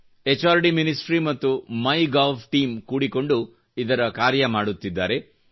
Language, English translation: Kannada, The HRD ministry and the MyGov team are jointly working on it